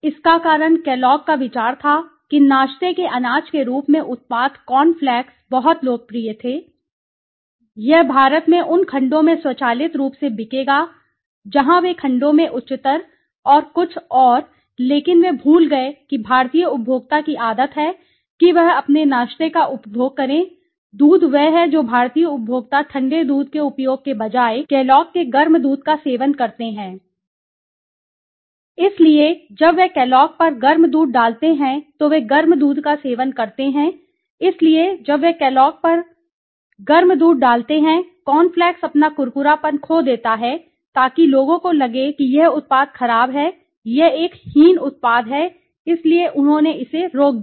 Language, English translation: Hindi, The reason was Kellogg s thought that because that products corn flakes was very popular across as a breakfast cereal it would automatically sell in India in those segments where those higher in segments and something right but they forgot that the habit of the Indian consumer to consume his breakfast or at least milk is that Indian consumers instead of using cold milk which she is required in the case of Kellogg s they consume hot milk, so when they use to put hot milk on the Kellogg s they consume hot milk so when they use to put hot milk on the Kellogg s cornflakes it use to become very you know it is lose its crispiness so as the result people felt this product was bad okay it is an inferior product so they stopped it